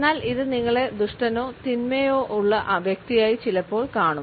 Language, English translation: Malayalam, But it could also make you appear to be sinister or evil